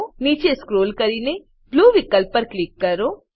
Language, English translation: Gujarati, Scroll down and click on Blue option